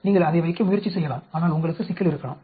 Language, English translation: Tamil, You can try it placing, but then you may have problem